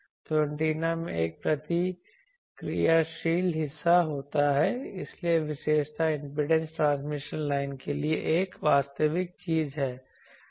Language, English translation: Hindi, So, depending on the obviously the antenna has a reactive part, so characteristic impedance is a real thing for transmission line